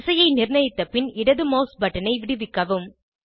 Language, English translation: Tamil, Change orientation in the desired direction and release the left mouse button